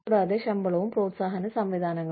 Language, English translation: Malayalam, And, pay and incentive systems